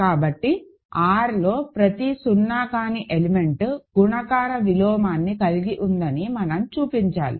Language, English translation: Telugu, So, we have to show that every non zero element of R has a multiplicative inverse, that is all, right, ok